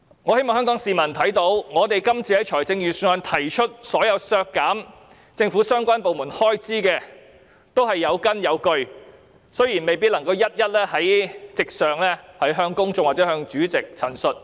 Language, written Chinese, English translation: Cantonese, 我希望香港市民看到，我們就預算案提出的所有削減政府相關部門開支的修正案都是有根有據，但未必能夠在席上向公眾或主席一一陳述。, I hope that Hong Kong people will see that we have proposed all our amendments to the Budget to cut the expenditure of the relevant government departments on a solid foundation but we may not be able to explain them one by one to the public or the Chairman in the Chamber